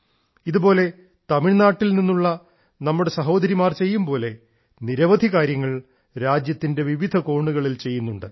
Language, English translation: Malayalam, Similarly, our sisters from Tamilnadu are undertaking myriad such tasks…many such tasks are being done in various corners of the country